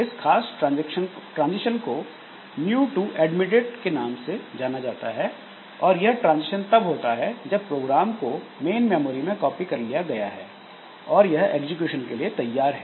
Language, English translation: Hindi, So, this particular transition is known as new to admitted and this transition happens when the program is, when the program has been copied onto main memory and it is ready for execution